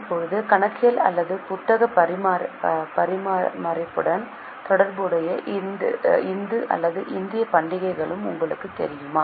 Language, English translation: Tamil, Now do you know any Hindu or Indian festival which is associated with accounting or bookkeeping